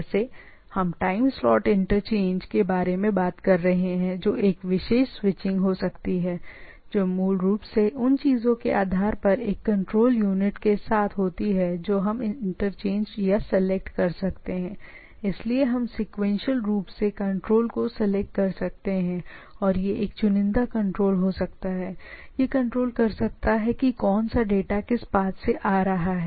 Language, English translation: Hindi, Like we are talking about time slot interchange, so that I can have a particular switching things which basically with a control unit based on the things we can interchange or select, so this is this can we select sequentially control and this can be a selectively control that which data is coming in the thing